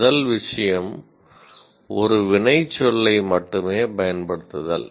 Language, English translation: Tamil, First thing is, use only one action verb